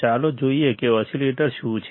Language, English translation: Gujarati, Let us see what exactly oscillators are